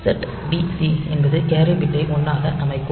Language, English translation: Tamil, So, set b c will set the carry bit to 1